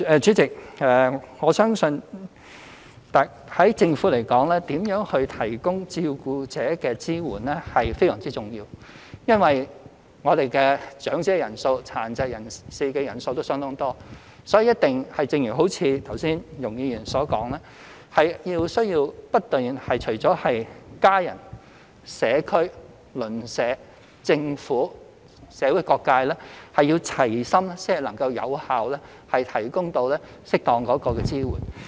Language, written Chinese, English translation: Cantonese, 主席，我相信從政府而言，如何提供支援予照顧者是非常重要的，因為長者人數、殘疾人士人數都相當多，所以，一定要如剛才容海恩議員所說，除家人外，還不斷需要社區、鄰舍、政府和社會各界齊心，才能有效提供適當的支援。, President given the large number of elderly people and persons with disabilities I consider the provision of carer support an important task of the Government . However as said by Ms YUNG Hoi - yan earlier in addition to family members it is impossible to provide effective and appropriate support unless the community neighbourhood the Government and different sectors of society are willing to work with one heart continuously